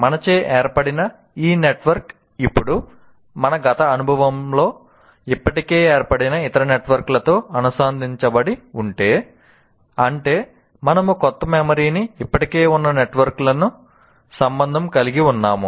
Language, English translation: Telugu, If this network that we formed is now linked to other networks, which are already formed in our past experience, that means we are relating the new memory to the existing frameworks, existing networks